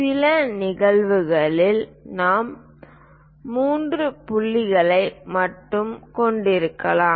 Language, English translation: Tamil, In certain instances, we might be having only three points